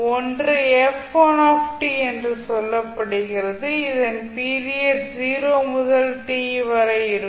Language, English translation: Tamil, So one is say f1 t which have a period between 0 to t